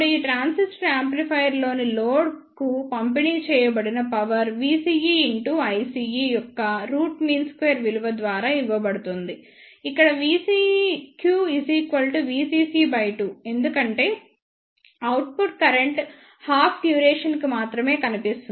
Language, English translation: Telugu, Now, the power delivered to the load in these transistor amplifier will be given by the root mean square value of V ce into I ce, here V CEQ will be half of the V CC because the output current is appeared for only half duration